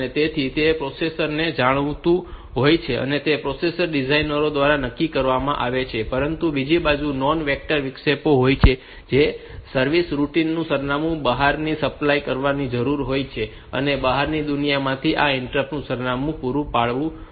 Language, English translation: Gujarati, So, it is known to the processor it is fixed by the processor designers, on the other hand there are non vectored interrupts where the address of the service routine needs to be supplied externally, from the outside world this interrupts address should be supplied